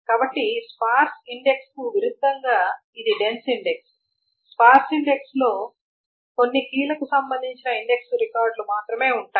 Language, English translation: Telugu, So that is a dense index as opposed to a sparse index where there are index records corresponding to only certain keys